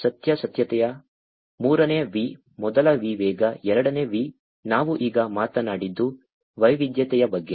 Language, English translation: Kannada, Veracity is the third V; the first V is the velocity, second V is what we talked about now is the variety